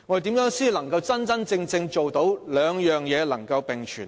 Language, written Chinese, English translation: Cantonese, 如何才能真正做到這兩點能並存呢？, What can we do to ensure the co - existence of the two criteria?